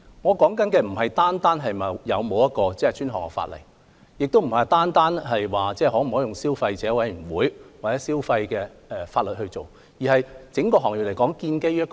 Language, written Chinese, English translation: Cantonese, 我所說的，並非單單指是否有專項法例，也不是可否交由消委會或透過消費方面的法例處理，而是整個行業究竟建基於甚麼？, What I said was not merely related to whether dedicated legislation should be enacted or whether the franchising business should be regulated by CC or by consumer - related legislation but the basis of operation of the industry